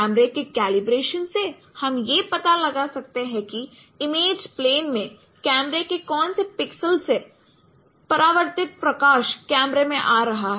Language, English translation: Hindi, So from the camera calibration we can find out that in which pixel of the camera in the image plane which is illuminated from where the light reflected light is coming to the camera